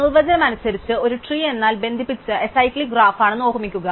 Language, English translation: Malayalam, So, remember that by definition, a tree is a connected acyclic graph